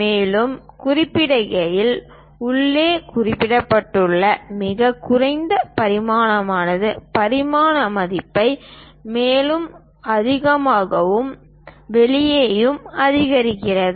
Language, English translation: Tamil, Further note that, the lowest dimension mentioned inside further increase in dimension value outside and further outside the largest one